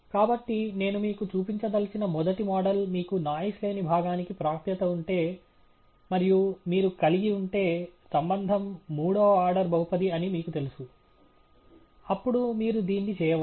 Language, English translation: Telugu, So, the first model I just want to show you, if you had access to the noise free part, and you had and you knew that the relationship is a third order polynomial, then you can… let’s do that here okay